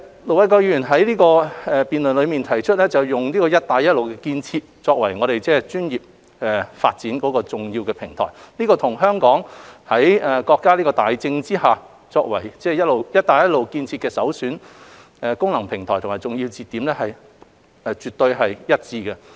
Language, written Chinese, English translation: Cantonese, 盧偉國議員在辯論中提出，利用"一帶一路"建設作為專業發展的重要平台。這與香港在國家大政策下，作為"一帶一路"建設的首選功能平台和重要節點絕對一致。, During the debate Ir Dr LO Wai - kwok brought up the issue of using the BR Initiative as an essential platform for developing Hong Kong into a regional professional services hub which is utterly consistent with Hong Kongs role as the prime functional platform and a key link for BR Initiative under the States overall policy